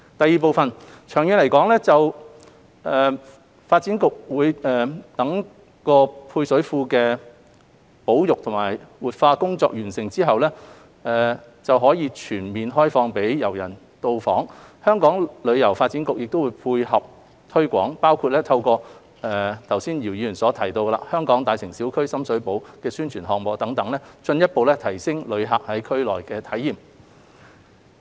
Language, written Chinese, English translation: Cantonese, 二長遠來說，待發展局就配水庫的保育和活化工作完成後並可全面開放予遊人到訪時，香港旅遊發展局會配合推廣，包括透過剛才姚議員提到的"香港.大城小區―深水埗"的宣傳項目等，進一步提升旅客在區內的體驗。, 2 In the long run when the service reservoir can be fully opened for public visit after completion of conservation and revitalization works by DEVB the Hong Kong Tourism Board HKTB will help roll out related promotion including through the Hong Kong Neighbourhoods―Sham Shui Po campaign which Mr YIU just mentioned to further enhance visitors experience in the area